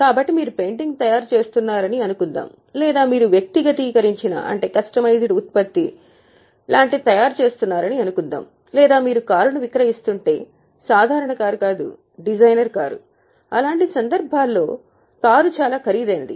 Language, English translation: Telugu, So, suppose you are making a painting or you are making something like customized product like say tailor made garment or if you are selling a car but it's not a normal car, it's a designer car which is extremely costly